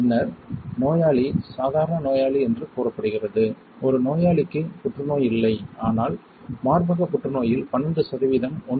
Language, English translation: Tamil, Then the patient is said that patient is normal a patient does not have any cancer, but 12 percent of the breast cancer say 1